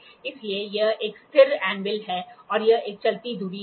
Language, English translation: Hindi, So, what this is a stationary anvil and this is a moving spindle